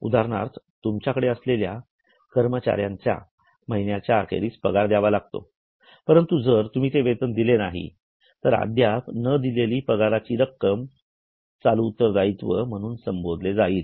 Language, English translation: Marathi, For example, if you have employees with you, you should pay salary at the end of the month, but if you don't pay that salary, then the amount of salary which is still unpaid, it will be called as a current liability